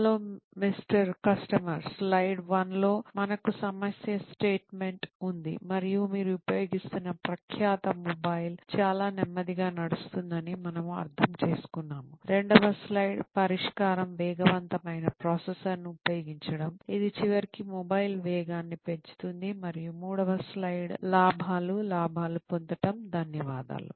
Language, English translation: Telugu, Hello Mr Customer, slide one, we have the problem statement and we understand that the reputed mobile that you are using is running very slow, slide two, the solution is to use a faster processor, which will ultimately increase the speed of the mobile and third slide is the profits, will get profits, thank you